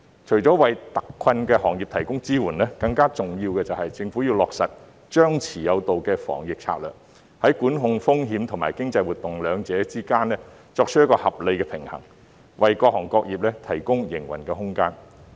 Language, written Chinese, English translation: Cantonese, 除了為特困行業提供支援外，更重要的是，政府要落實張弛有道的防疫策略，在管控風險和經濟活動兩者之間，作出一個合理的平衡，為各行各業提供營運空間。, More importantly apart from providing support to the hard - hit industries the Government should put into practice the suppress and lift strategy in fighting the epidemic striking a reasonable balance between risk management and economic activities thereby providing room for the operation of various trades and industries